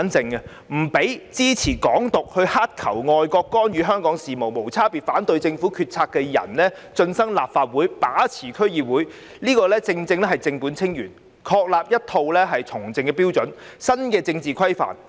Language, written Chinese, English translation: Cantonese, 不容支持"港獨"、乞求外國干預香港事務、無差別反對政府決策的人進身立法會、把持區議會，是正本清源，確立一套從政標準及新的政治規範。, It is an attempt to solve problems at root by barring people who support Hong Kong independence beg for foreign intervention in Hong Kongs affairs and indiscriminately oppose the Governments decisions from entering the Legislative Council and dominating DCs . This will help establish a set of political standards and new norms